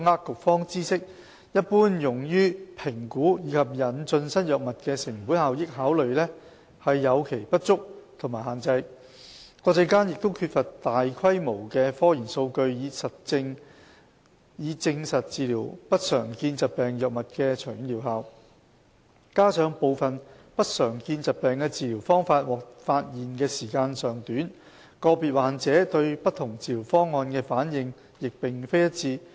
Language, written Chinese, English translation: Cantonese, 局方知悉一般用於評估及引進新藥物的成本效益考慮有其不足及限制，國際間亦缺乏大規模的科研數據以證實治療不常見疾病藥物的長遠療效；加上部分不常見疾病的治療方法獲發現的時間尚短，個別患者對不同治療方案的反應亦並非一致。, It also knows the inadequacies and limitations of the cost - effectiveness considerations which are generally taken into account when evaluating and introducing new drugs . Added to these is the lack of large - scale scientific research data accepted on an international basis in support of the long - term efficacy of the drugs for treatment of these disorders . Given the relatively recent discovery of ways to treat some of these disorders the responses of individual patients to different treatment plans may vary